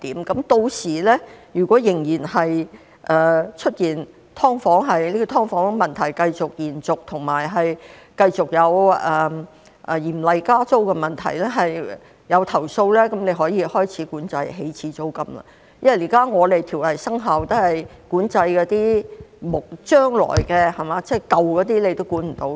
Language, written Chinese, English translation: Cantonese, 屆時如果"劏房"問題延續，以及繼續有加租厲害的問題，出現投訴，局長可以開始管制起始租金，因為現在條例生效後也是管制將來的情況，那些舊有租約也是無法管制的。, If the problem of SDUs continues then and if there are complaints about serious rent increases the Secretary can start to regulate the initial rent because when the Ordinance takes effect it will regulate the future situation and there is no way to regulate the old tenancies